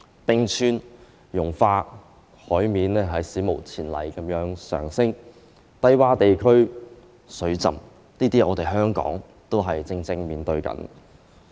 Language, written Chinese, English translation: Cantonese, 冰川融化，海面史無前例地上升，低窪地區水浸，這也是香港正在面對的情況。, The melting of glaciers the unprecedented rising of sea level and the flooding of low - lying areas are what Hong Kong is facing also